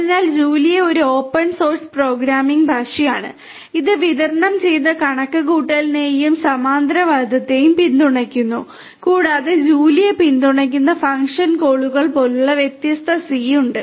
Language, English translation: Malayalam, So, Julia is a open source programming language and it supports distributed computation and parallelism and there are different c like called function calls that are supported by Julia